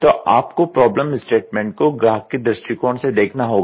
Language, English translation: Hindi, So, you look into as a problem statement, you look from the customer’s perspective